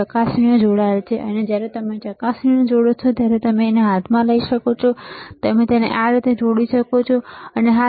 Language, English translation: Gujarati, The probes are connected and when you connect the probe, you can take it in hand and you can connect it like this, yes